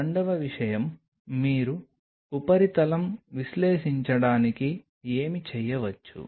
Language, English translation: Telugu, Second thing what you can do to analyze the surface